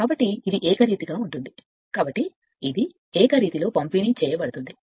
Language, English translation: Telugu, So, it is it is uniformly so it is you are uniformly distributed